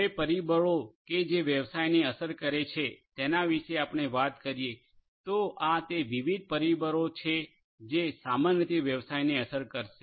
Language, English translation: Gujarati, Now, the factors that affect business, if we talk about that, so these are the different factors that will typically affect the business